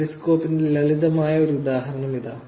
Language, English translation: Malayalam, Here is a simple example of Periscope